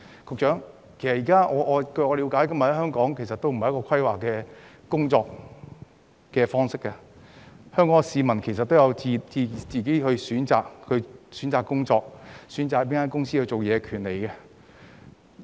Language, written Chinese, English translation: Cantonese, 局長，據我了解，現時香港沒有規劃的工作方式，市民有自行選擇工作及選擇到哪間公司工作的權利。, Secretary as I understand it there is currently no planned employment in Hong Kong and people have the right to choose which jobs to take up and which companies to work for